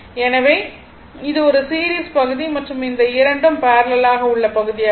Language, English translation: Tamil, So, this is a see this is series part and this 2 are parallel part